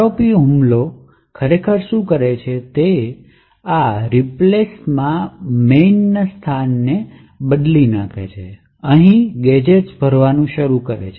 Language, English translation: Gujarati, So, what an ROP attack actually does, is that it replaces this return to main and starts filling in gadgets over here